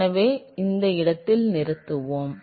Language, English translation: Tamil, So we will stop at this point